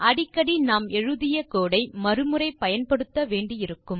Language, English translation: Tamil, Often we will have to reuse the code that we have written